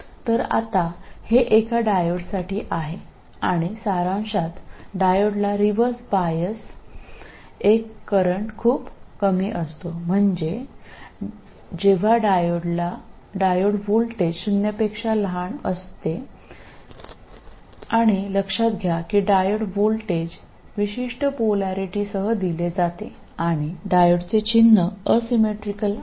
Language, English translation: Marathi, So now this is for a diode and in summary, diode has a very small current in reverse bias that is when the diode voltage is smaller than zero and note that the diode voltage is defined with a specific polarity and the symbol of the diode is asymmetrical so please keep that in mind while figuring out forward and reverse bias